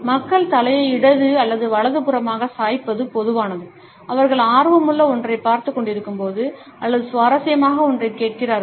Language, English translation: Tamil, It is common for people to tilt their heads either towards the left or the right hand side, while they are watching something of interest or they are listening to something interesting